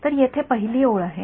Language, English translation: Marathi, So, the first line over here is